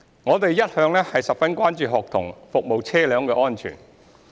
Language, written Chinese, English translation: Cantonese, 我們一向十分關注學生服務車輛的安全。, We have attached particular importance to the safety of student service vehicles